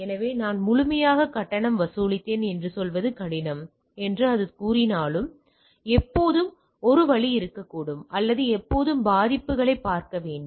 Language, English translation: Tamil, So, though it say something which is difficult to say that I fully charged, but never the less there should be always a way of or always looking at the vulnerabilities